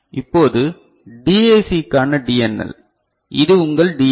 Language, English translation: Tamil, Now, DNL for DAC, so this is your DAC right